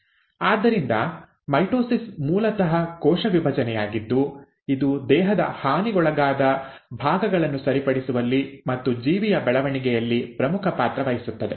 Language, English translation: Kannada, So mitosis is basically the cell division which plays an important role in repairing the damaged parts of the body and also in the growth of the organism